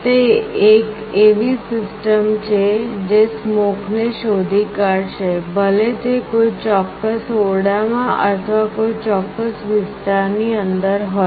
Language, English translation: Gujarati, It is a system that will detect smoke, whether it is present inside a particular room or a particular area